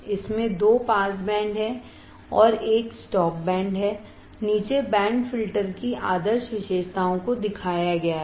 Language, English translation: Hindi, It has two pass bands and one stop band the ideal characteristics of band pass filter are shown below